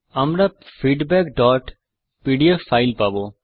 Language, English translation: Bengali, We get the file feedback.pdf